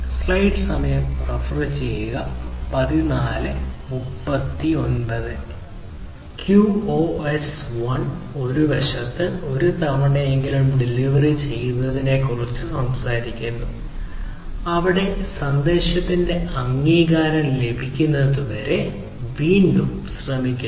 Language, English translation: Malayalam, QoS 1: on the other hand, talks about at least once delivery, where retry is performed until the acknowledgement of the message is received